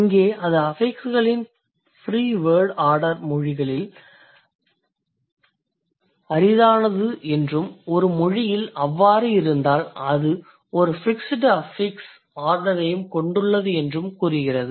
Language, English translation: Tamil, Here it says the free word order of affixes is rare across languages and if a language has it, it also has a fixed affix order